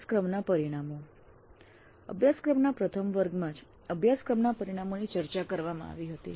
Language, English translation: Gujarati, Course outcomes were discussed upfront right in the very first class of the course